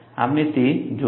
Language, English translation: Gujarati, We will look at that